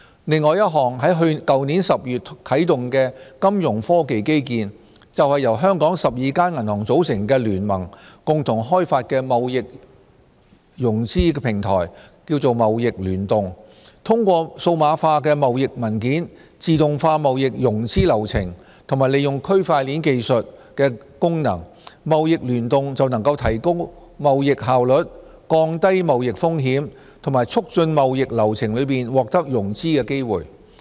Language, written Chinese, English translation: Cantonese, 另一項在去年10月啟動的金融科技基建，就是由香港12間銀行組成的聯盟共同開發的貿易融資平台"貿易聯動"。通過數碼化貿易文件，自動化貿易融資流程和利用區塊鏈技術的功能，"貿易聯動"能提高貿易效率，降低貿易風險和促進貿易流程中獲得融資的機會。, eTradeConnect another Fintech infrastructure launched last October was developed by a consortium of 12 banks in Hong Kong to improve trade efficiency reduce risks and facilitate trade counterparties to obtain financing by digitizing trade documents automating trade finance processes and leveraging the features of blockchain technology